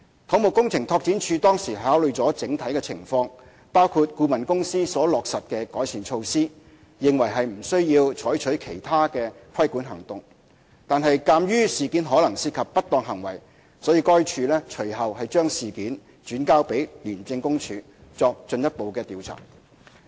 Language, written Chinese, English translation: Cantonese, 土木工程拓展署當時考慮了整體情況，包括顧問公司所落實的改善措施，認為不需要採取其他規管行動；然而，鑒於事件可能涉及不當行為，該署隨後將事件轉交廉署作進一步調查。, Having reviewed the overall situation including the consultants improvement measures undertaken CEDD considered at that time that it was not necessary to take regulating action . However in light of suspected malpractices involved in the incident the Department referred the case to ICAC for further investigation